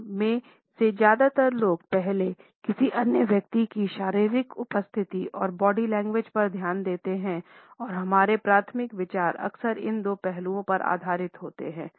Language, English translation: Hindi, Most of us notice another person’s physical appearance and body language before we notice anything else and our primary considerations are often based on these two aspects